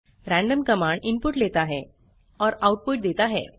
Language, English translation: Hindi, random command takes input and returns output